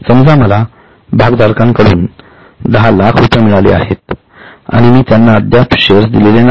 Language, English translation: Marathi, That means suppose I have received 10 lakhs from the shareholders, I have still not given them shares